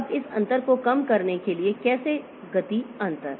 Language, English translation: Hindi, Now, how to reduce this gap, the speed gap